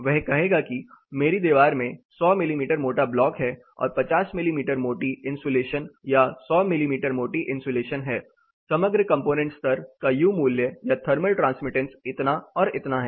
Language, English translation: Hindi, He will say my wall system has 100 mm thick block work plus 50 mm thick insulation or 100 mm thick insulation, the overall component level U value or thermal transmittance such and such